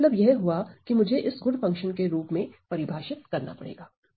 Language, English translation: Hindi, So, which means I have to define it in terms of a good function